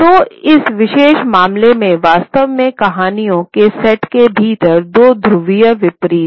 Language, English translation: Hindi, So in this particular case, actually there are two polar opposites within the set of stories